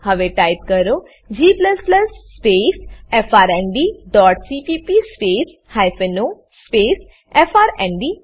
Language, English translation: Gujarati, Now type: g++ space frnd dot cpp space hyphen o space frnd.Press Enter